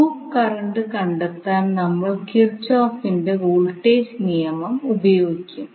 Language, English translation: Malayalam, We will utilize the Kirchoff’s voltage law to find out the loop current